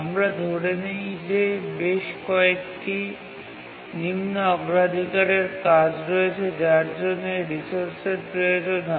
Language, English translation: Bengali, Now let's assume that there are several lower priority tasks which need these resources